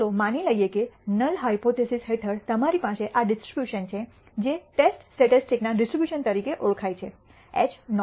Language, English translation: Gujarati, Let us assume that under the null hypothesis you have this distribution which is known as distribution of the test statistic under h naught